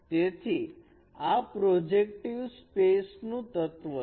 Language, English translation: Gujarati, So it is an element of projective space